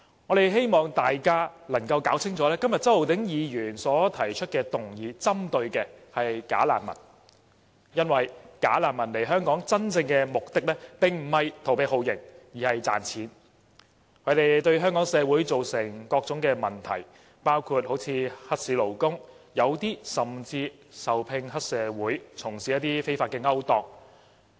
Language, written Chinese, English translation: Cantonese, 我們希望大家弄清楚，今天周浩鼎議員提出的議案針對的是"假難民"，因為"假難民"來港的真正目的並非逃避酷刑，而是賺錢，他們對香港社會造成各種問題，包括黑市勞工，有些人甚至受聘於黑社會，從事非法勾當。, We hope that Members are clear about one thing . The motion moved by Mr Holden CHOW today focuses on bogus refugees because they come to Hong Kong not to escape torture treatment but to make money . They have created different social problems in Hong Kong such as engaging in illegal employment and even working for triad societies to perform illegal activities